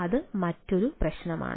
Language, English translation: Malayalam, so that is another problem